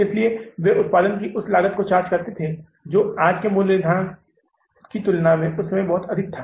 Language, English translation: Hindi, So they were charging the same cost of production, which was as compared to today's pricing, it was very high at that time